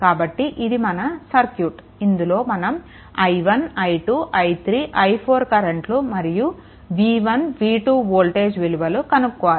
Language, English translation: Telugu, So, here you have to find out that what is your what you call that your i 1 i 2 i 3 i 4 and v 1 and v 2